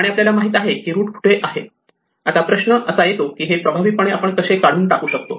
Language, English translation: Marathi, So, we know where the root is; now the question is how do we remove it efficiently